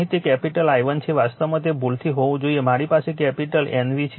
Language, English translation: Gujarati, Here it is capital i1 actually it it should have been by mistake I have a capital N v upon